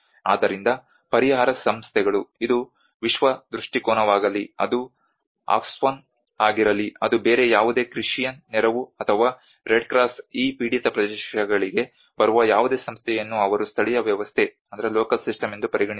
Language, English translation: Kannada, So whenever the relief organizations whether it is a world vision whether it is Oxfam whether it is any other Christian aid or red cross any other organization coming to these affected areas, they do not even consider what is a local system